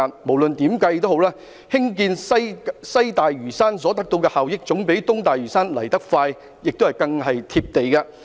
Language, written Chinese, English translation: Cantonese, 無論如何，建設西大嶼山所得的效益，總比建設東大嶼山來得快和更為"貼地"。, No matter how the benefits brought forth by the development of West Lantau will come quicker and be more practical than the development of East Lantau